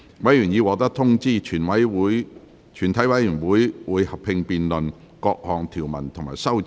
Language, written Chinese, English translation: Cantonese, 委員已獲得通知，全體委員會會合併辯論各項條文及修正案。, Members have been informed that the committee will conduct a joint debate on the clauses and amendments